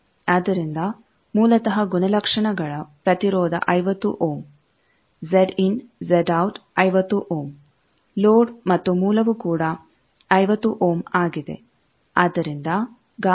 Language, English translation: Kannada, So, basically characteristics impedance 50 ohm Z in Z out is 50 ohm load and source also 50 ohm